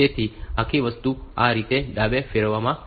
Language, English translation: Gujarati, So, entire thing is rotated left like this